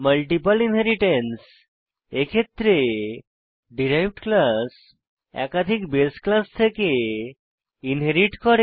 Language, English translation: Bengali, Multiple inheritance In multiple inheritance, derived class inherits from more than one base class